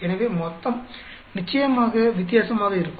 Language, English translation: Tamil, So, the total will come out to be different of course